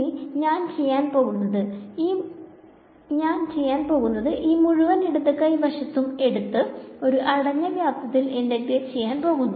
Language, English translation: Malayalam, Now what I am going to do is I am going to take this whole left hand side and integrat it over some closed volume ok